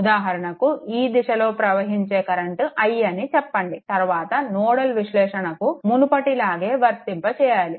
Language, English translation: Telugu, For example, say current flowing in this direction is i, then same as before for nodal analysis we have seen